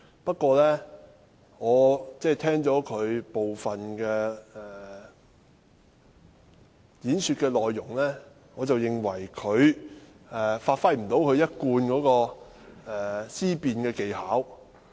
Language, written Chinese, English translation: Cantonese, 不過，聽罷他講辭的部分內容，我認為他不能發揮其一貫的思辯技巧。, However having listened to part of his speech I found that he was unable to think critically as he usually did